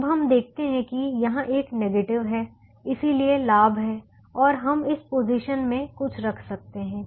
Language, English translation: Hindi, now we observe that there is a negative here, so there is a gain and we can put something in this position